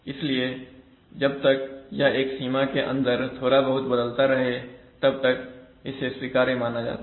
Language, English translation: Hindi, So as long as it varies little bit within that limit it is generally considered acceptable